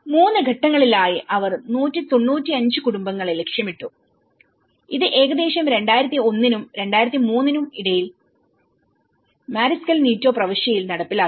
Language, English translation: Malayalam, So, the 3 stages, they targeted 195 families, which is implemented in Mariscal Nieto Province between about 2001 and 2003